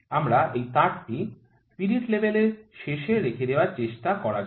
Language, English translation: Bengali, Let me try to put this wire on the end of the spirit level